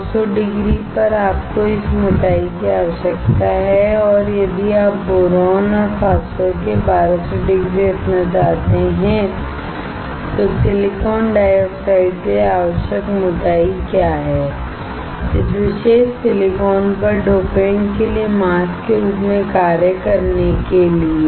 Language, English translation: Hindi, At 900 degree, you need this much thickness and if you want to have 1200 degree for boron and phosphorus, what is the thickness that is required for the silicon dioxide, on this particular silicon to act as a mask for the dopant